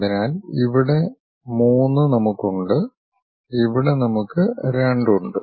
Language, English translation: Malayalam, So, here 3 we have, here we have 2